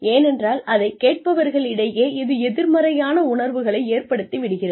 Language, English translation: Tamil, Because, it produces negative feelings, among recipients